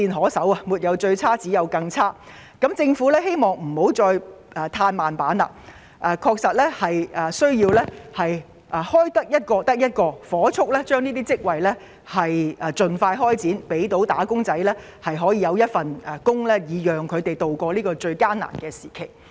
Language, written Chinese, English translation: Cantonese, 當失業情況"沒有最差，只有更差"的時候，我希望政府不要再"嘆慢板"，職位能夠開設一個便是一個，盡快火速完成此事，給"打工仔"一份工作，協助他們渡過這個難關。, Wage earners are left helpless . When the unemployment situation can only get worse I hope that the Government would stop playing for time and create as many jobs as possible so as to expeditiously get the job done and help wage earners tide over this hard time